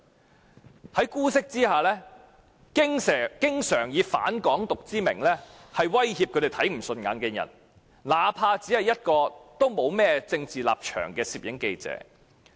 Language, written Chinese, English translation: Cantonese, 他們在姑息之下經常以"反港獨"之名威脅他們看不順眼的人，那怕只是沒有任何政治立場的攝影記者。, They are very often treated with leniency and have always acted in the name of anti - independence to threaten people they do not like even though these people are only photographers who have no political stance